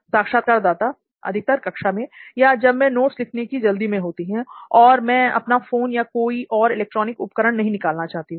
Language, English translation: Hindi, Usually in class or if I am in a hurry to just write some notes and I do not want to take my phone or the any electronic device